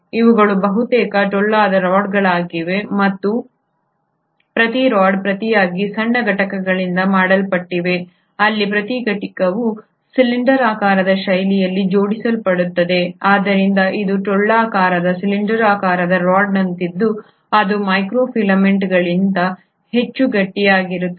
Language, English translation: Kannada, These are almost hollow rods and each rod in turn is made up of smaller units where each unit arranges in a cylindrical fashion, so it is like a hollow cylindrical rod which is much more stiffer than the microfilaments